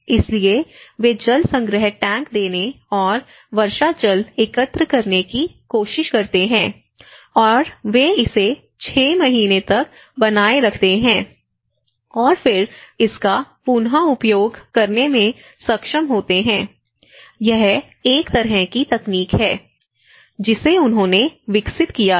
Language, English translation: Hindi, So, what they tried to do is; so they try to give this kind of tanks; water collection tanks and collecting the rainwater and they keep it for 6 months, they storage it for 6 months and then able to reuse so, this is a kind of technology which they have developed